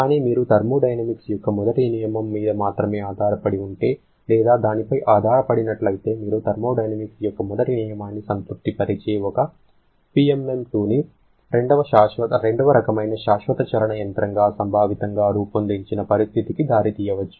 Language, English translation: Telugu, But if you are depending or relying only on the first law of thermodynamics, then you may lead to a situation where you have conceptually designed one PMM II a perpetual motion machine of the second kind which satisfies the first law of thermodynamics